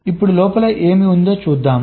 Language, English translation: Telugu, now lets see what is there inside